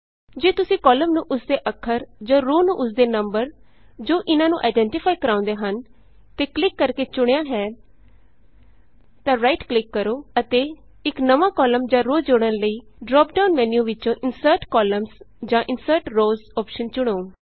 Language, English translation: Punjabi, If you have selected a column by clicking the Alphabet that identifies it or a row by the Number that identifies it, then right click and choose the Insert Columns or Insert Rows option in the drop down menu that appears, in order to add a new column or row